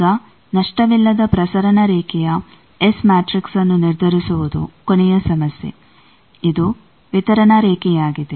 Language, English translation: Kannada, Now, the last problem that determines the S matrix of a lossless transmission line, this is a distributed line